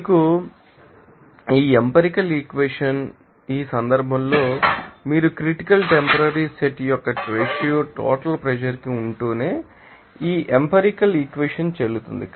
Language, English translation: Telugu, You know, this empirical equation in this case, this empirical equation will be valid only if you are you know that ratio of critical temporary set to you know total pressure